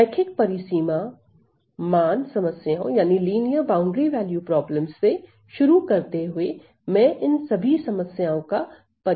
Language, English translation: Hindi, So, starting from linear boundary value problems, and I am going to introduce all these problems later on